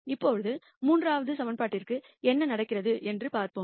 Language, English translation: Tamil, Now, let us see what happens to the third equation